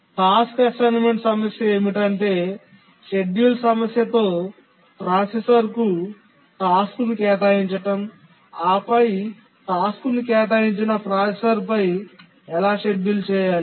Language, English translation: Telugu, The scheduling problem is how to schedule the task on the processor to which it has been assigned